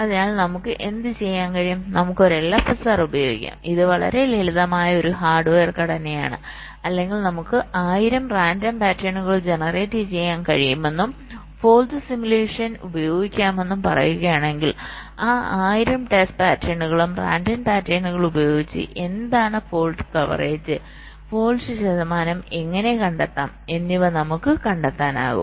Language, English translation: Malayalam, so what we can do, we can use an l f s r it's a very simple hardware structure or say we can generate one thousand random patterns and using fault simulation we can find out that using those one thousand test patterns, random patterns, what is the fault coverage